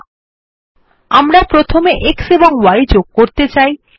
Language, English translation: Bengali, And finally add x equals to the beginning